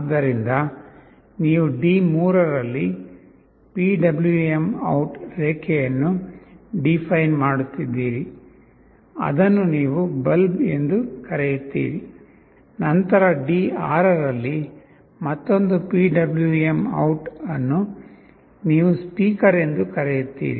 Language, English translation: Kannada, So, you are defining a PwmOut line on D3, which you call as “bulb”, then another PwmOut ut on D6, which you call “speaker”